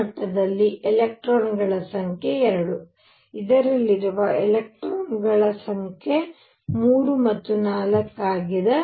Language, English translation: Kannada, The number of electrons in this level are 2; number of electrons in this is 3 and 4